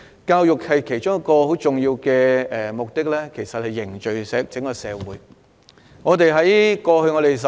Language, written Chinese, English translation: Cantonese, 教育其中一個很重要的目的是凝聚社會。, One of the very important objectives of education is to promote social solidarity